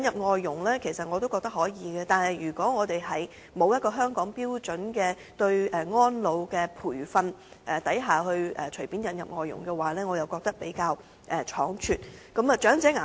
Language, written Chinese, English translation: Cantonese, 我其實也認同可以引入外勞，但如果沒有制訂香港對安老培訓的標準便隨便引入外勞，則會比較倉卒。, Actually I also agree that we may import labour . But it will be a hasty act to import labour causally without formulating a standard for carer training in Hong Kong